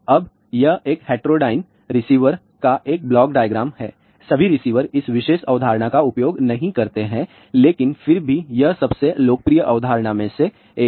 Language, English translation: Hindi, Now this is a one block diagram of a heterodyned receiver not all the receivers use this particular concept, but nevertheless this is one of the most popular concept